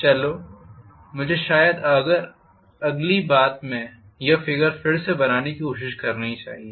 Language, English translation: Hindi, Let me try to probably redraw the figure in the next thing